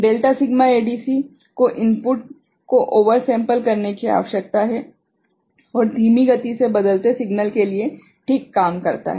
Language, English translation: Hindi, Delta Sigma ADC needs to oversample the input and works well for slow changing signals ok